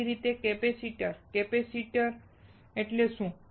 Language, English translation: Gujarati, Similarly, capacitors; what does capacitor means